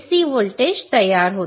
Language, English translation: Marathi, C voltage gets generated